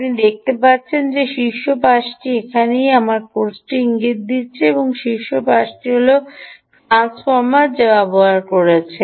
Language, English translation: Bengali, you can see that this top side, wherever i have pointed my cursor, this top side essentially is the ah transformer which has been used